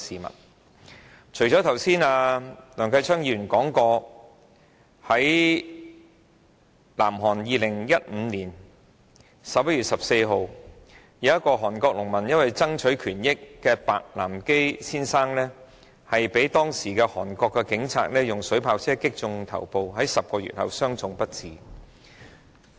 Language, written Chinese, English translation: Cantonese, 一如梁繼昌議員剛才所說，在2015年11月14日，南韓有一名農民白南基先生因為爭取權益，被韓國警察的水炮車水柱擊中頭部 ，10 個月後傷重不治。, As Mr Kenneth LEUNG said just now on 14 November 2015 Mr BAEK Nam - ki a South Korean farmer was hit on the head by the stream of water shot from a water cannon vehicle of the Korean police during a demonstration to fight for rights . He died of serious injuries 10 months later